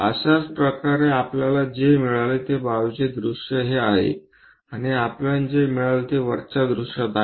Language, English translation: Marathi, For this one similarly, the side view what we got is this one and the top view what we got is in that way